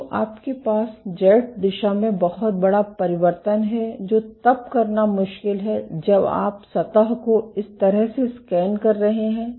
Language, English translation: Hindi, So, you have a huge variation in Z direction which is difficult to do when you are just scanning the surface like this